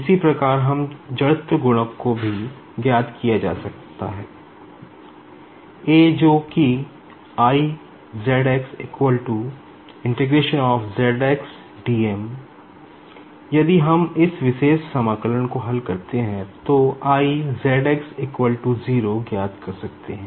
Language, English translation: Hindi, Similarly, I can also find out the product of inertia that is I ZX and that is nothing but volume integration of zx dm